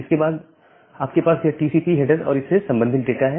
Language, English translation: Hindi, And then you have this TCP header and the corresponding data